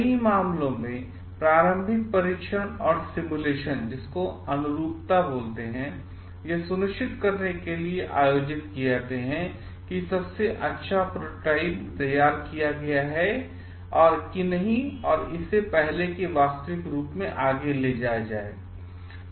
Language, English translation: Hindi, In many cases, preliminary test and simulations are conducted out to make sure that the best prototype is prepared and before it is taken further to making it a reality